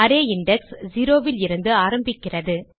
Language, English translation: Tamil, Array index starts from 0